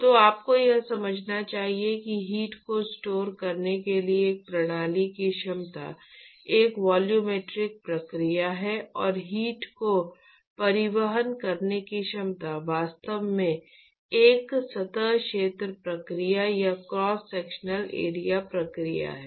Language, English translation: Hindi, So, you must understand that the capability of a system to store heat is actually a volumetric process and the capability of it to transport heat is actually a surface area process or a cross sectional area process